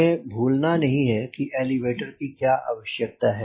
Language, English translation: Hindi, but let us not forget: why do you need elevator